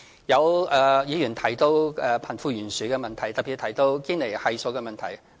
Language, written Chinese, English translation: Cantonese, 有議員提到貧富懸殊的問題，特別提到堅尼系數的問題。, Some Members have also mentioned the wealth gap problems particularly problems related to the Gini Coefficient